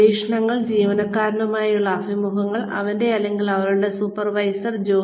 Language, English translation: Malayalam, Observations, interviews with the employee, of his or her supervisor